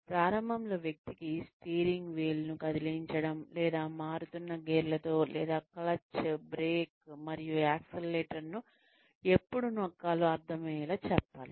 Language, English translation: Telugu, Initially, the person needs to be taught, how to get comfortable, with moving the steering wheel, or with changing gears, or with understanding when to press the clutch, brake, and accelerator